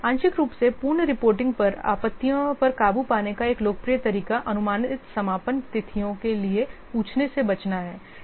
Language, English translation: Hindi, One popular way of overcoming the objections to partial completion reporting is to avoid asking for the estimated completion dates